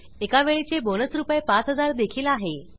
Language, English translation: Marathi, There is a one time bonus of Rs